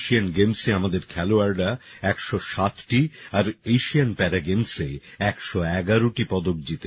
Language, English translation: Bengali, Our players won 107 medals in Asian Games and 111 medals in Asian Para Games